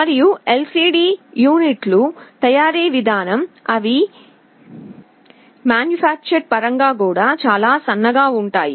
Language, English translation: Telugu, And the way LCD units are manufactured they are also very thin in terms of form factor